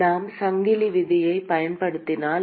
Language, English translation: Tamil, If we use the chain rule